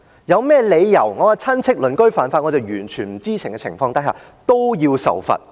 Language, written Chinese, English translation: Cantonese, 有甚麼理由我的親戚、鄰居犯法，我在完全不知情的情況下連我也要受罰？, They might wonder why they should be punished for the crimes that their relatives and neighbours had committed unbeknown to them